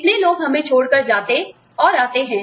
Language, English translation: Hindi, How many people, leave us and come